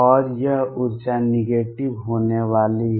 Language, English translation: Hindi, And this energy is going to be negative